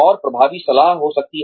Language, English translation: Hindi, And, there could be effective mentoring